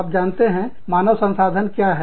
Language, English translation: Hindi, You know, what human resources are